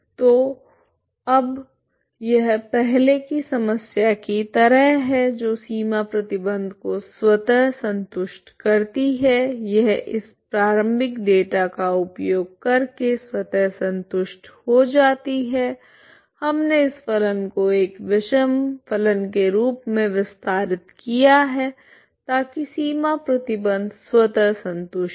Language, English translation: Hindi, So now this is like earlier problem boundary condition is automatically satisfied ok, this is automatically satisfied making use of this initial data we simply extended this functions as an odd function so that the boundary condition is automatically satisfied